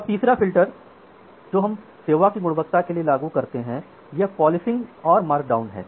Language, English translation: Hindi, Now, the third filter which we apply for quality of service it is policing and markdown